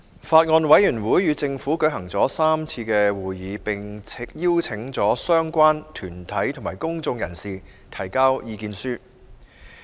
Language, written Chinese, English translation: Cantonese, 法案委員會與政府舉行了3次會議，並邀請相關團體及公眾人士提交意見書。, The Bills Committee has held three meetings with the Administration and invited written views from the related organizations and the public